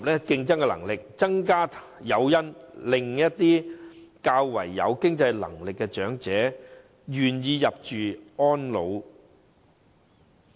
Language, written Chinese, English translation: Cantonese, 另一方面，當局可增加誘因，讓一些較有經濟能力的長者願意入住私營院舍。, Meanwhile the authorities should introduce additional incentives to attract better - off elderly people to settle in self - financing RCHEs